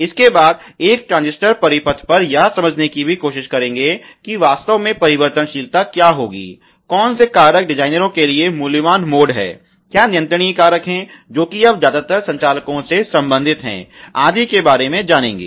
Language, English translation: Hindi, In the century also try to understanding on a transistor circuit what would really be the variability, you know factor which is valuable mode to what is the designers, what is also the controllable factors, which are you known mostly related to the operators, etcetera